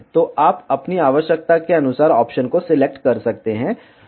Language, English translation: Hindi, So, you can select the option according to your requirement